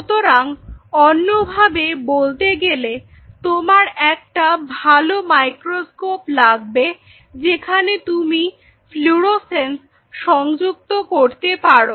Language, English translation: Bengali, So, in other word then get a really good microscope, where you have an integration of the fluorescence